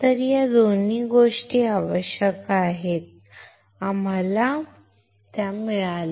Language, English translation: Marathi, So, these two things we require, we got it